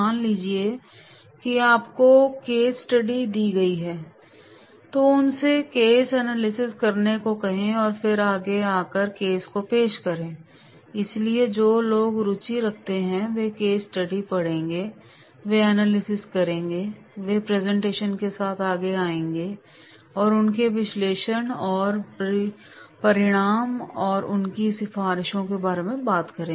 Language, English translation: Hindi, Suppose you are given the case study, ask them to do a case analysis and then come forward and present the case, so those who are interested they will read the case study, they will do the analysis and they will come forward with the presentation and their analysis and results and their recommendations